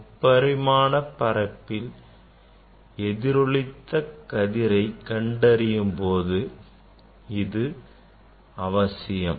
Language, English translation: Tamil, When you are going to search the reflected ray in space in three dimension